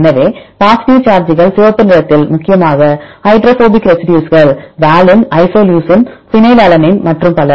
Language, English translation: Tamil, So, positive charges then we have the red one mainly the hydrophobic residues right valine isoleucine phenylalanine and so on